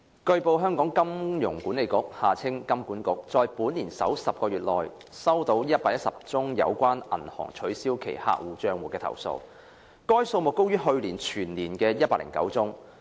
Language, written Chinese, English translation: Cantonese, 據報，香港金融管理局在本年首10個月內收到117宗有關銀行取消其客戶帳戶的投訴，該數目高於去年全年的109宗。, It has been reported that in the first 10 months of this year the Hong Kong Monetary Authority HKMA received 117 complaints about banks cancelling their customers accounts and that number is higher than the 109 complaints received for the whole of last year